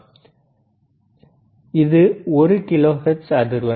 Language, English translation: Tamil, Right now, it is one kilohertz frequency,